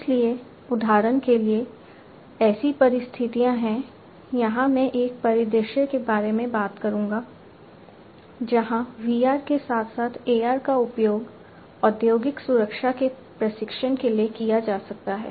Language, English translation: Hindi, So, for example, there are situations I will also talk about a scenario, where VR as well as AR can be used for training of industrial safety